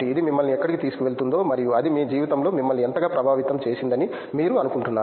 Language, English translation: Telugu, Where do you think it is going to take you and how much it has impacted you in your life